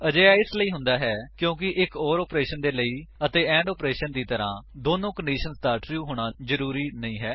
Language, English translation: Punjabi, This is because an OR operation does not need both the conditions to be true like the AND operation